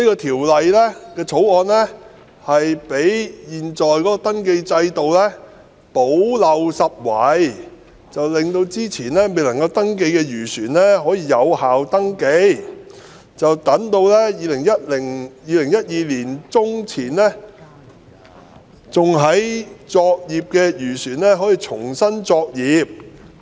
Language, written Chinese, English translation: Cantonese, 《條例草案》將為現時的登記制度補漏拾遺，使之前未能登記的漁船可獲登記，從而令2012年年中前仍在作業的漁船可以重新作業。, The Bill will plug the gap in the existing registration scheme to accommodate the registration of fishing vessels that had not been able to register before and hence enable fishing vessels in operation before mid - 2012 to conduct their operations afresh